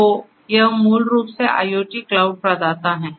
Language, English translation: Hindi, So, IoT cloud this basically are IoT cloud providers